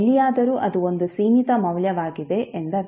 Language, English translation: Kannada, So it means that anywhere it is a finite value